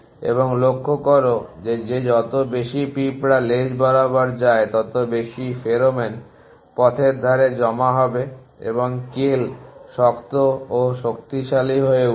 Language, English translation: Bengali, And notice that once more and more ants go along with trail more and more pheromone will be deposited along the way and the kale becomes strong and stronger